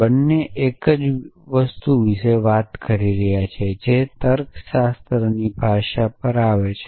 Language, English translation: Gujarati, Both are talking about the same thing the predicate comes on the language of the logic